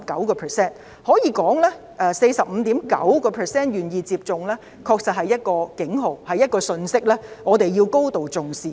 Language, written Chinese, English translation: Cantonese, 可以說，香港只有 45.9% 的人願意接種，確實是一個警號、一個信息，我們要高度重視。, It can be said that the figure of only 45.9 % of people being willing to receive vaccination in Hong Kong is indeed a warning and a message to which great attention must be paid